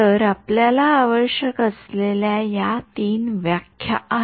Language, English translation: Marathi, So, these are the 3 definitions that we need ok